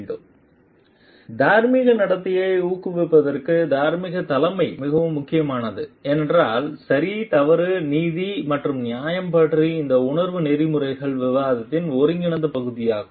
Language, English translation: Tamil, Moral leadership is very very important for promoting ethical conduct because, this sense of right and wrong, justice, fairness is an integral part of ethical discussion